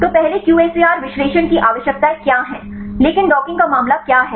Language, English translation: Hindi, So, first what are the requirements of QSAR analysis, but the case of docking what are the requirements